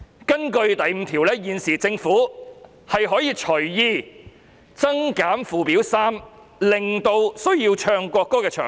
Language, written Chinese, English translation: Cantonese, 根據第5條，現時政府可以隨意增減附表3的內容，以增減須奏唱國歌的場合。, Pursuant to clause 5 the Government at present can make additions or deletions to the contents of Schedule 3 at will in respect of the occasions on which the national anthem must be played and sung